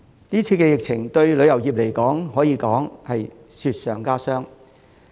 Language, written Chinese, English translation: Cantonese, 今次疫情對旅遊業來說，可說是雪上加霜。, One may say that the current outbreak has aggravated the predicament faced by the tourism industry